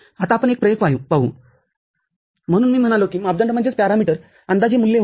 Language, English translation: Marathi, Now, we look at the one practical, so I said that parameter was an estimated value